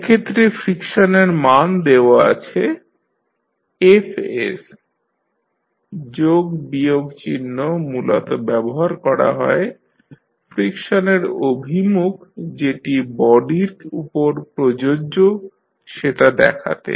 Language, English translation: Bengali, In that case the value of friction is given by Fs, plus minus is basically used to show the direction of the friction which will be applicable in the body